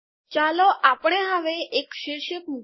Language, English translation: Gujarati, Let us now create a caption